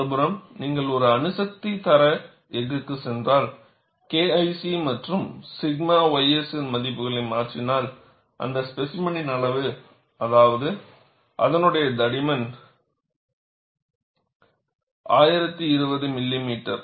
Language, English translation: Tamil, On the other hand, if you go for nuclear grade steel, if you substitute the values of K 1 C and sigma y s in that, the specimen size, that is the thickness, is 1020 millimeters